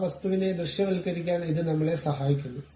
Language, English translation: Malayalam, It help us to really visualize that object